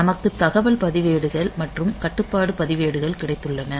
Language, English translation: Tamil, So, we have got data registers and control registers